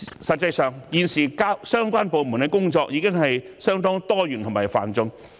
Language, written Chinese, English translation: Cantonese, 實際上，現時相關部門的工作已經相當多元和繁重。, In fact the work of relevant departments is already quite diverse and arduous